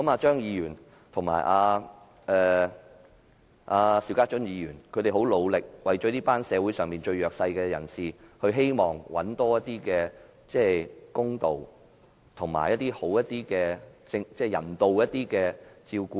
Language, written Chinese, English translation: Cantonese, 張議員和邵家臻議員很努力，希望為這群社會上最弱勢的人尋求多一點公道，以及獲得較人道的照顧。, Dr CHEUNG and Mr SHIU Ka - chun are making an effort in order to seek justice and more humane treatment for people of the most socially disadvantaged groups